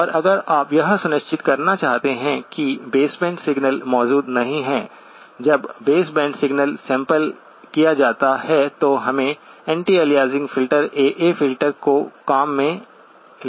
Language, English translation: Hindi, And if you want to ensure that aliasing is not present in a base band, when a base band signal is sampled, so we have to employ an anti aliasing filter, AA filter